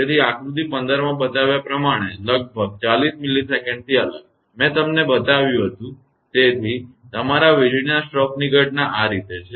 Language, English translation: Gujarati, So, separated by about 40 millisecond as shown in figure 15; I showed you, so this is how the phenomena of your lightning stroke